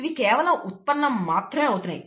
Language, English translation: Telugu, They are only being generated